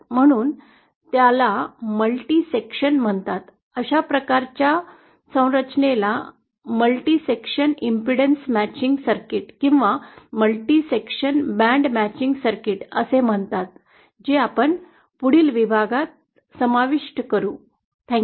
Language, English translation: Marathi, So that is called multi section, that kind of structure is referred to as a multi section impedance matching circuit or a multi section broad band matching circuit, which we shall cover in the next module